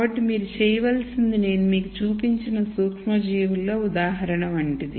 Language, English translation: Telugu, So, what you have to do is much like the microorganism example that I showed you